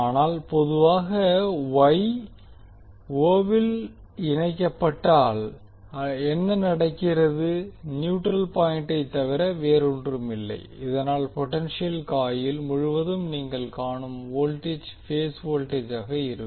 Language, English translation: Tamil, But generally what happens in case of Y connected the o will be nothing but the neutral point so that the voltage which you seeacross the potential coil will be the phase voltage